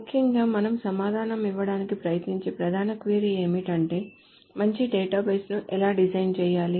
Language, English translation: Telugu, So essentially the main question that we will try to answer is how to design a good database